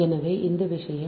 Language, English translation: Tamil, so this is the thing